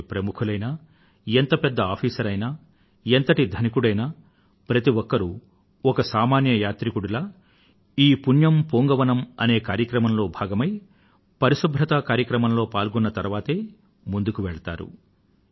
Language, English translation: Telugu, However big a celebrity be, or however rich one might be or however high an official be each one contributes as an ordinary devotee in this Punyan Poonkavanam programme and becomes a part of this cleanliness drive